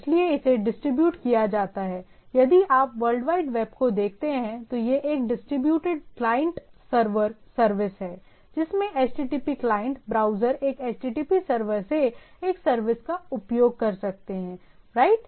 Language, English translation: Hindi, So its a distributed if you look at the World Wide Web, it is a distributed client server service, in which HTTP client browser can access a service by from a HTTP server, right